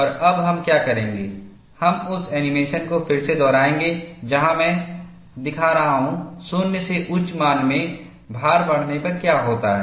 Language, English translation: Hindi, And what we will do now is, we will replay the animation, where I am showing, what happens when load is increased from 0 to the peak value